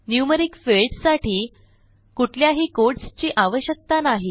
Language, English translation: Marathi, NUMERIC fields need not be encased with any quotes